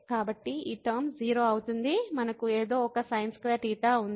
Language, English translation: Telugu, So, this term becomes 0 we have something a sin square theta